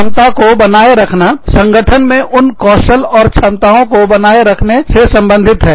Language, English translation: Hindi, Retaining competence retention deals with, retaining those skills, and competencies in the organization